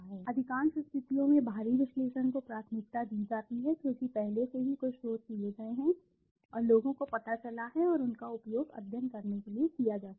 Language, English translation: Hindi, External analysis is preferred in most of the situations because already some research has been done and people have found out and those can be used to make a study